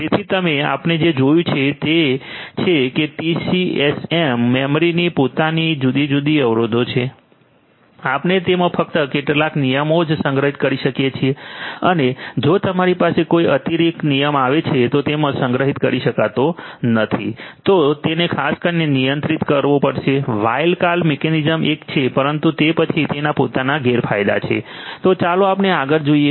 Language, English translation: Gujarati, So, you we what we have seen is that TCAM memory has its own different constraints, we could only store few rules in it and if you have a additional rule coming in which cannot be stored, then it has to be handled in a certain way wild card mechanism is one, but then it has its own disadvantages